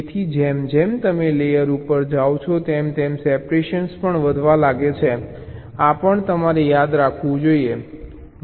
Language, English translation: Gujarati, so as you move up the layer the separation also starts to increase